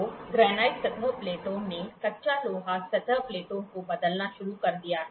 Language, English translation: Hindi, So, granite surface plate granite surface plate have started replacing cast iron surface plates